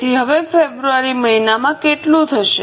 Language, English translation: Gujarati, So, how much will be in the month of February now